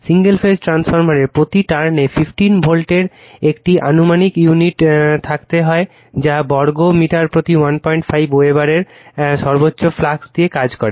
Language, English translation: Bengali, Single phase transformer is to have an approximate unit per turn of 15 volt, that is given and operate with a maximum flux of 1